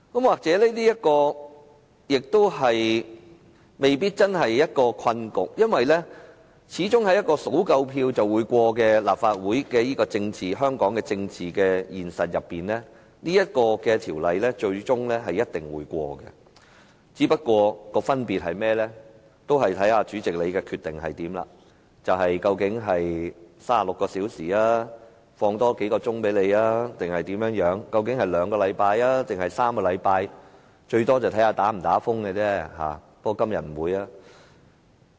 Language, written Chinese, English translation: Cantonese, 或者這未必真的是一個困局，因為在香港立法會，議案只要獲得足夠票數便可以通過，在這樣的政治現實中，《條例草案》最終一定會獲得通過，分別只在於主席決定讓議員有36小時的辯論時間，還是再多給我們幾個小時；於兩個星期內通過，還是3個星期內通過。, Perhaps this may not really be a predicament because in the Hong Kong Legislative Council a motion will be passed as long as there are enough votes . Given such political reality the Bill will definitely be passed eventually . The only difference is whether the President decides to let Members have 36 hours debate time or give us a few more hours and whether it will be passed in two weeks or three weeks